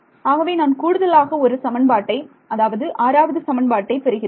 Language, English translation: Tamil, So, I will get one extra equation I will get six equation and five variable